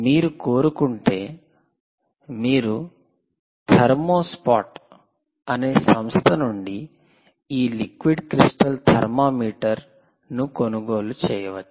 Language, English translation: Telugu, if you wish, you can buy this liquid crystal thermometer from this little ah ah company which is called thermospot